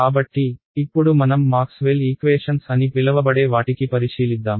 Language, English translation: Telugu, So, I can ignore the time part of these Maxwell’s equations right